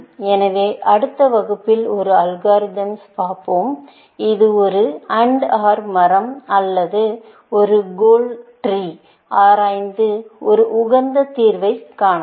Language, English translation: Tamil, the next class we will look at an algorithm, which explores an AND OR tree or a goal tree, to find an optimal solution, essentially